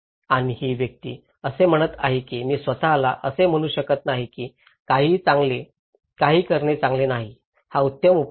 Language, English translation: Marathi, And the person is saying that I cannot say myself that doing nothing is not the best is not the best solution